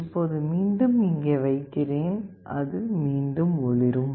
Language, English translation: Tamil, Now again I will put it up here, it is again glowing